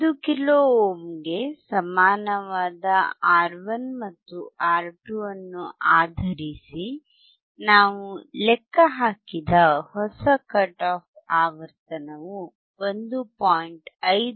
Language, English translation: Kannada, The new cut off frequency that we have calculated based on R1 and R2, equal to 1 kilo ohm, is 1